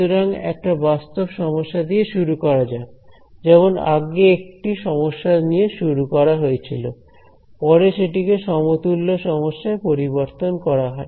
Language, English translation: Bengali, So, let us let us start with start with the real problem the physical problem like earlier started with physical problem and then the converted into an equivalent problem